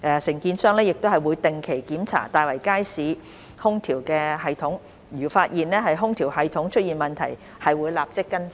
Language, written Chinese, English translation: Cantonese, 承建商亦會定期檢查大圍街市空調系統，如發現空調系統出現問題，會立即跟進。, The contractor will carry out regular checking for the air - conditioning system and will follow up immediately if any problems are discovered